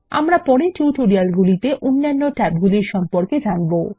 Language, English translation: Bengali, We will learn the other tabs in the later tutorials in this series